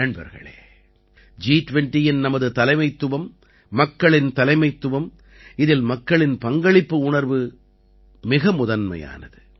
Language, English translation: Tamil, Friends, Our Presidency of the G20 is a People's Presidency, in which the spirit of public participation is at the forefront